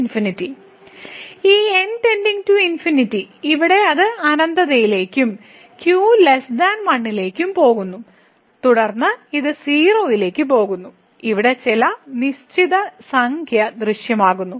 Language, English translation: Malayalam, So, this goes to infinity this here it goes to infinity and is less than 1 then this goes to 0 and here some fixed number is appearing